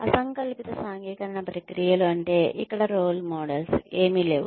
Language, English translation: Telugu, Disjunctive socialization processes means that, there are no role models